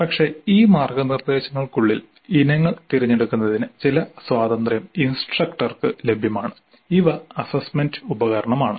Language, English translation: Malayalam, But within these guidelines certain freedom certainly is available to the instructor to choose the items which constitute the assessment instrument